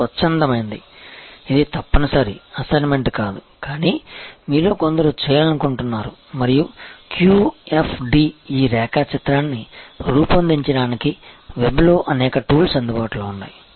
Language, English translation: Telugu, And this is a voluntary, this is not a compulsory assignment, but some of you will like to do and by the way QFD, there are number tools available on the web to create this diagram and